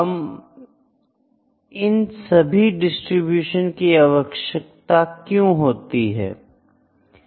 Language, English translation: Hindi, Now, why do we need all the distributions